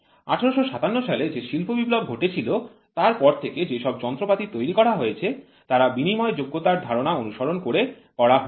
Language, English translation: Bengali, After the industrial revolution which happened in 1857 the machines which are getting developed followed the concept of interchangeability